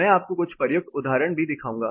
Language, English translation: Hindi, I will also show you some applied examples